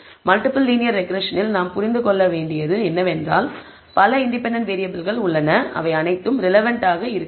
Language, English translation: Tamil, Except that understand in the multiple linear regression there are several independent variables all of them may not be relevant